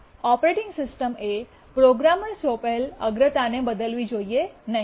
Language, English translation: Gujarati, The operating system should not change a programmer assigned priority